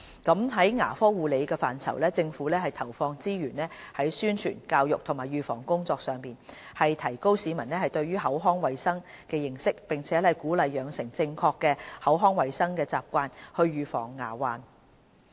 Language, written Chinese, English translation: Cantonese, 在牙科護理的範疇，政府投放資源於宣傳、教育和預防工作上，提高市民對口腔衞生的認識並鼓勵養成正確的口腔衞生習慣以預防牙患。, In the area of dental care the Government seeks to raise public awareness of oral hygiene and encourage proper oral health habits for the purpose of preventing dental diseases through allocating resources on promotion education and prevention efforts